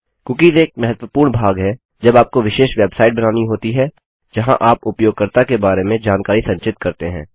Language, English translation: Hindi, Cookies are a very important part when creating special websites where you store information about a user